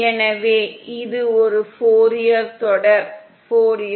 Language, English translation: Tamil, So this is a Fourier series